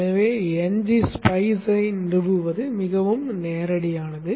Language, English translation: Tamil, So installing NG spice is pretty straightforward